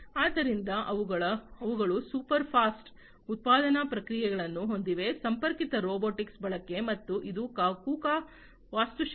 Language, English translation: Kannada, So, they have super fast manufacturing processes through, the use of connected robotics and this is the KUKA architecture